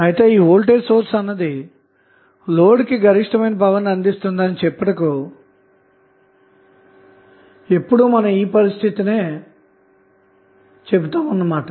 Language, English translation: Telugu, So, this was the condition when we say that the source is delivering maximum power to the load